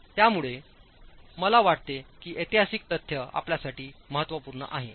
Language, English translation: Marathi, So, I think that historical fact is important for you